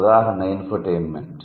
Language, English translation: Telugu, The example is infotentment